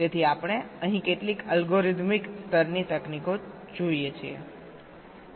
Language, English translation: Gujarati, so we look at some of these algorithmic level techniques here